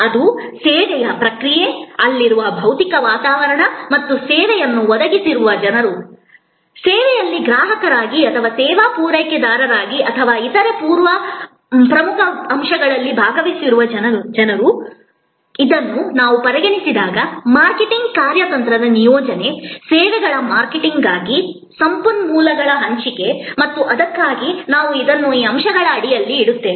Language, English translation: Kannada, That, the process of service, the physical environment that is there in and people who are providing the service, people who are participating in the service as consumer or as service provider or three other important elements, which must be considered when we discuss about deployment of a marketing strategy, allocation of resources for services marketing and that is why we put it under these elements